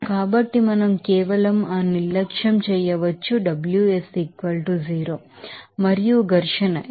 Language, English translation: Telugu, So, we can simply that neglect that Ws that will be = 0 and also friction, because to F will = 0